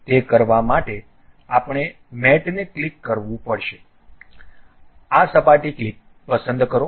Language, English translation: Gujarati, To do that what we have to do click mate, pick this surface